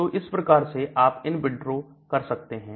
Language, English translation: Hindi, We can also do in vitro approach